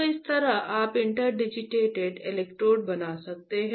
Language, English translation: Hindi, So, this is how you can fabricate interdigitated electrodes